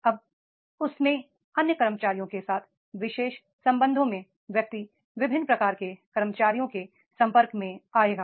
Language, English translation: Hindi, Now in that particular relationship with the other employees, the person will come across a different types of the employees